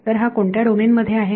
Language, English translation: Marathi, So, this is in which domain